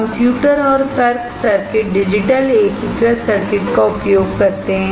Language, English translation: Hindi, Computer and logic circuits uses digital integrated circuits